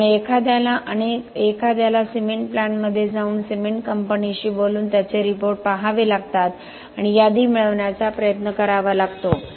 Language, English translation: Marathi, So one has to go to a cement plant talk to the cement company see their reports and try to get an inventory